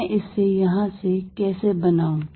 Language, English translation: Hindi, How do I build it up from here